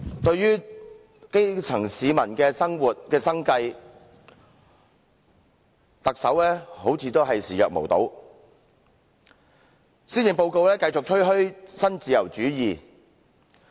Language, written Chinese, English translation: Cantonese, 對於基層市民的生活、生計，特首似乎仍視若無睹，施政報告繼續吹噓新自由主義。, The Chief Executive seems to turn a blind eye to the livelihood of the grassroots . He continues to brag about neoliberalism in the Policy Address